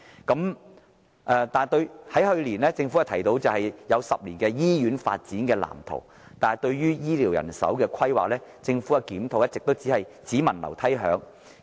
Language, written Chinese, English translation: Cantonese, 政府去年提出10年的醫院發展藍圖，但對於醫療人手的規劃，政府的檢討一直只聞樓梯響。, Despite a 10 - year Blueprint for Hospital Development having been proposed by the Government last year a review by the Government of healthcare manpower planning has all been thunder but no rain